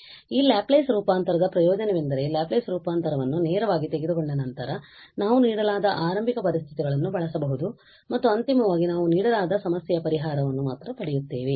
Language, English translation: Kannada, So, the advantage of this Laplace transform is that directly after taking the Laplace transform we can use the given initial conditions and finally we will get just the solution of the given problem